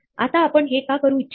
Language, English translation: Marathi, Now, why would you want to do this